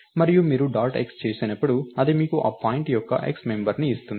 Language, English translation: Telugu, And when you do dot x, it gives you the x member of that point